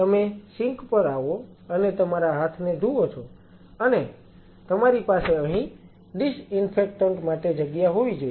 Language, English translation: Gujarati, Come to the sink you wash your hands and you should have a place for disinfectant here